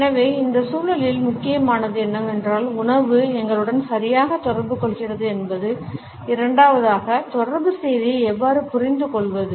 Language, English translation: Tamil, So, what becomes important in this context is what exactly does food communicate to us and secondly, how do we understand the communicated message